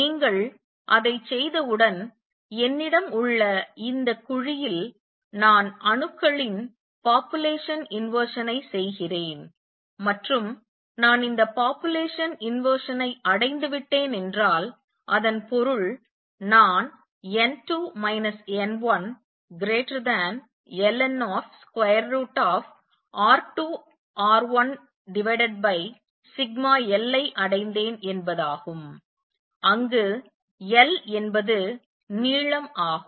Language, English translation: Tamil, And once you do that, so I have this cavity in which I am doing this population inversion of atoms and suppose I have achieved this population inversion that means, I have achieved n 2 minus n 1 greater than minus log of root R 1 R 2 over sigma L, where L is the length